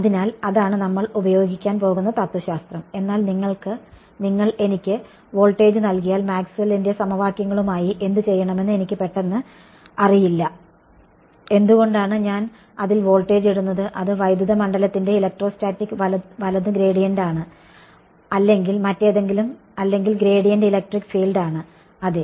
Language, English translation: Malayalam, So, that is the philosophy that we are going to use, but if you give me voltage then I suddenly do not know what to do with Maxwell’s equations; why do I put voltage in that that is electrostatics right gradient of electric field or whatever or gradient of voltage is electric field yeah thats